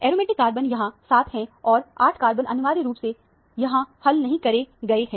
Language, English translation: Hindi, The aromatic carbons are 7 and 8 carbons are essentially unresolved here